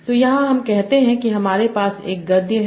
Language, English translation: Hindi, So here, let us say we have a proge like this